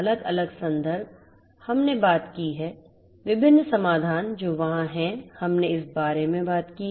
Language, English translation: Hindi, The different references, we have talked about; different solutions that are there, we are talked about